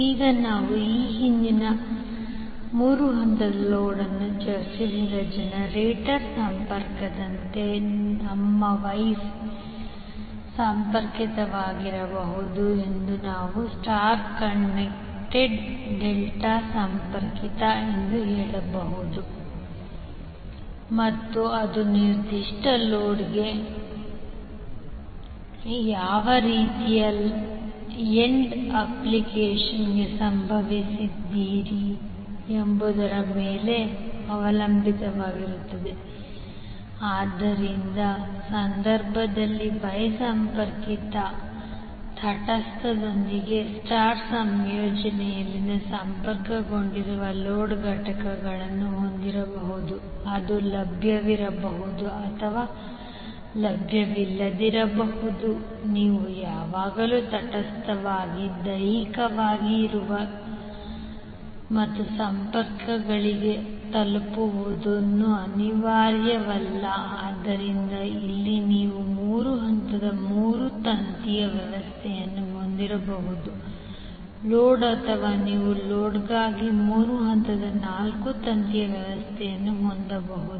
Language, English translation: Kannada, Now like the generator connection which we discussed previously three phase load can also be either your wye connected or you can say star connected or delta connected and it depends upon what type of end application you have related to that particular load, so in the case wye connected you will have the loads components connected in star combination with neutral it may be available or may not be available it is not necessary that you will always have neutral physically present and reachable for connections, so here you might have three phase three watt system for the load or you can have three phase four wire system for the load